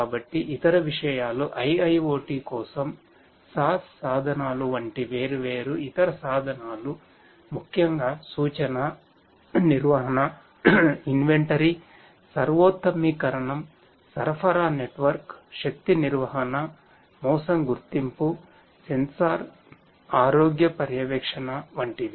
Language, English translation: Telugu, So, the other things are the different other tools like the SaaS tools for IIoT specifically performing things such as predictive maintenance, inventory optimisation, supply network, energy management, fraud detection, sensor health monitoring and so on